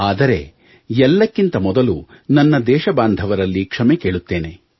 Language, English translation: Kannada, But first of all, I extend a heartfelt apology to all countrymen